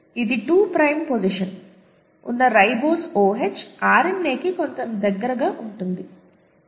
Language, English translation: Telugu, So this is somewhat closer to RNA, the ribose OH in the 2 prime position